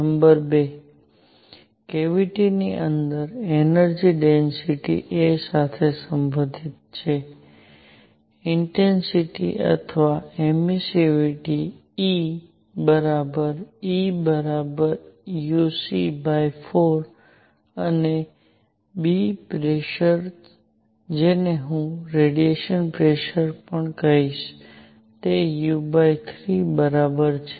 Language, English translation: Gujarati, Number 2; the energy density u inside the cavity is related to a; intensity or emissivity; E as equal to as E equal u c by 4 and b; pressure which I will also call a radiation pressure is equal to u by 3